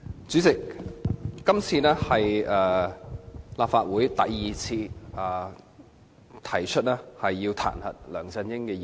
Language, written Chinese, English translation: Cantonese, 主席，今次是立法會第二次提出彈劾梁振英的議案。, President this is the second time a motion to impeach LEUNG Chun - ying has been proposed in the Legislative Council